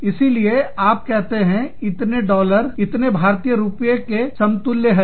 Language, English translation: Hindi, So, you say, so many dollars, equivalent to, so many Indian rupees